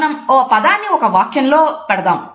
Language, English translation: Telugu, We put the word in a sentence